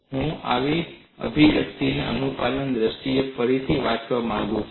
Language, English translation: Gujarati, I would like to recast this expression in terms of compliance